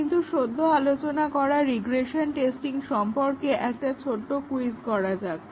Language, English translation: Bengali, Let us look at that, but before that let us have small a quiz on regression testing which we just discussed